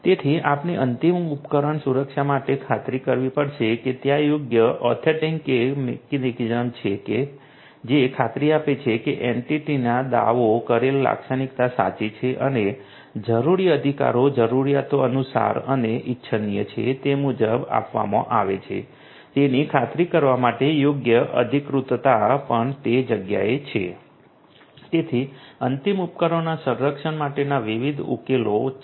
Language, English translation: Gujarati, So, we have to ensure for end device protection that there is suitable authentication mechanism in place in place, which will give an assurance that a claimed characteristic of the entity is correct and suitable authorization is also in place in order to ensure that you know suitable rights are granted as per the requirements and as per what is desirable